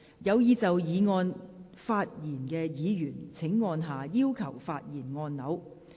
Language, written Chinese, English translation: Cantonese, 有意就議案發言的議員請按下"要求發言"按鈕。, Members who wish to speak on the motion will please press the Request to speak button